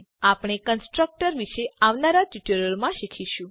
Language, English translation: Gujarati, We will learn about constructor in the coming tutorials